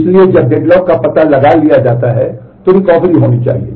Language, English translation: Hindi, So, when the deadlock is detected there has to be a recovery